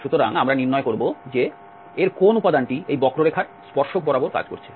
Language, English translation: Bengali, So, we will find that what component of this is acting along the tangent of this curve